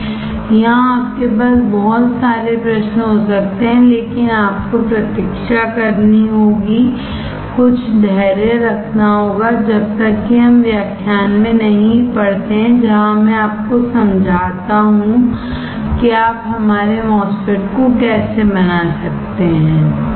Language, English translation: Hindi, Here you may have lot of questions, but let you wait have some patience until we read to the lecture where I explain you how you can fabricate our MOSFET, alright